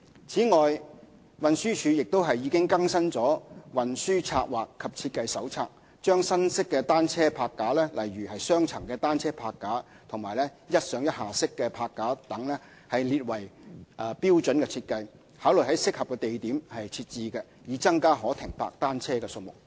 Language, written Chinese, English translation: Cantonese, 此外，運輸署亦已更新《運輸策劃及設計手冊》，將新式單車泊架，例如"雙層單車泊架"和"一上一下式泊架"等列為標準設計，考慮在適合的地點設置，以增加可停泊單車的數目。, In addition TD has already updated the Transport Planning and Design Manual by including new bicycle rack designs such as double - deck parking system and 1 - up - 1 - down parking rack as standard designs and will consider installing them at appropriate locations to provide more bicycle parking spaces